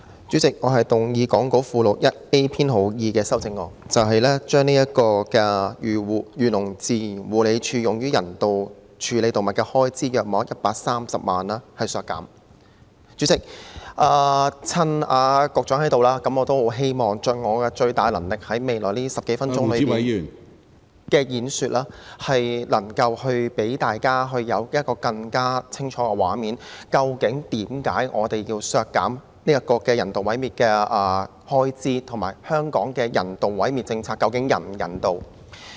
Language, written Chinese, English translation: Cantonese, 主席，我動議講稿附錄 1A 編號2的修正案，削減漁農自然護理署用於人道處理動物的開支約130萬元。主席，趁局長在席，我希望盡最大能力，在未來10多分鐘的演說，給大家一個更清晰的畫面，了解為何我們要求削減人道毀滅的開支，以及香港的人道毀滅政策究竟是否人道。, Chairman I move Amendment No . 2 as set out in Appendix 1A to the Script to reduce the expenditure of the Agriculture Fisheries and Conservation Department AFCD on euthanasia of animals by 1.3 million Chairman seizing the opportunity of the Secretary being present in the next 10 - odd minutes of my speaking time I wish to try my best to give Members a clearer picture of why we request that the expenditure on euthanasia be reduced and whether or not the policy of euthanasia in Hong Kong is humane